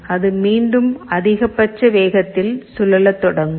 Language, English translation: Tamil, So, initially it is rotating with the maximum speed